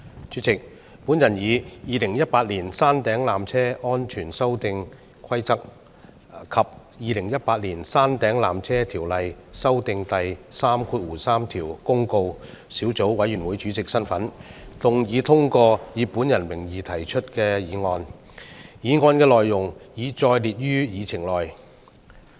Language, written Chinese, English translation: Cantonese, 主席，我以《2018年山頂纜車規例》及《2018年山頂纜車條例條)公告》小組委員會主席的身份，動議通過以我的名義提出的議案，議案的內容已載列於議程內。, President in my capacity as Chairman of the Subcommittee on Peak Tramway Safety Amendment Regulation 2018 and Peak Tramway Ordinance Notice 2018 I move the motion moved under my name as printed on the Agenda be passed